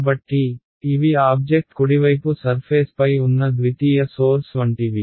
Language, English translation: Telugu, So, these are like secondary sources that are on the surface of the object right